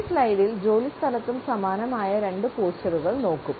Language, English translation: Malayalam, In this slide we would look at two postures which are also same in the workplace